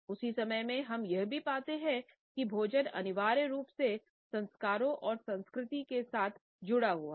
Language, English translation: Hindi, At the same time we find that food is linked essentially with rituals and with culture